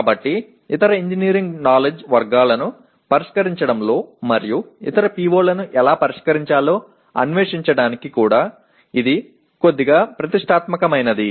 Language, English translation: Telugu, So this is slightly ambitious in terms of addressing other engineering knowledge categories and also trying to explore how to address the other POs